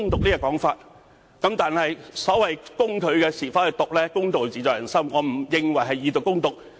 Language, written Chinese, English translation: Cantonese, 至於攻擊他的是否"毒"，公道自在人心，我並不認為是"以毒攻毒"。, As to whether they are really fought by a poison I think justice lies in the heart of everyone and I do not agree that we are fighting poison with poison